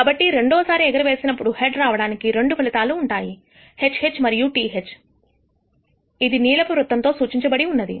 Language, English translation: Telugu, So, receiving a head in the second toss consists of two outcomes HH and TH denoted by the blue circle